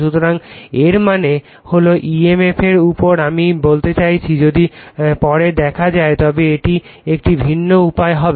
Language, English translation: Bengali, So, that means, emf on the I mean if you later we will see it will be a different way